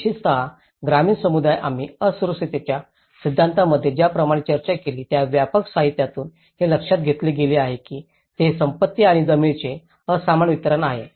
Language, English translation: Marathi, The especially the rural communities as we discussed in the theories of vulnerability, it has been noted very much from the extensive literature that it’s unequal distribution of wealth and land